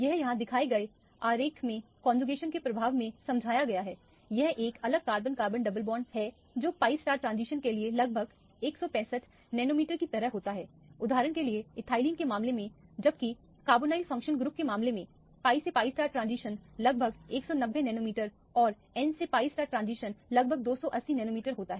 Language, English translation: Hindi, This is explained by the effect of conjugation in the diagram shown here, this is an isolated carbon carbon double bond the pi to pi star transition occurs around 165 nanometer like in the case of ethelyne for example, whereas in the case of a carbonyl functional group, the pi to pi star transition occurs around 190 nanometer and the n to pi star transition occurs around 280 nanometers